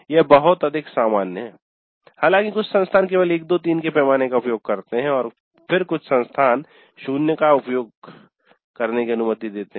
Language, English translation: Hindi, So this is much more common though some institutes do use a scale of only 1 to 3 and some institutes do permit 0 also to be used but 1 to 5 is most common and 0 to 5 is also common